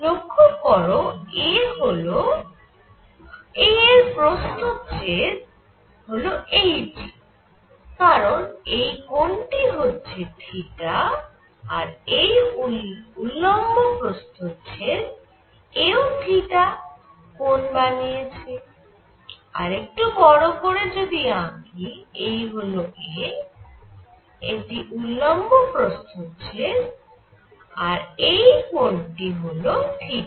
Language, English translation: Bengali, So, the perpendicular cross section of this a, because this angle is theta is this perpendicular cross section this is also theta out here, so if I make it bigger this is a and this is the perpendicular cross section this angle is theta